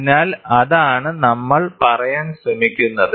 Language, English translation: Malayalam, So, that is what we are trying to say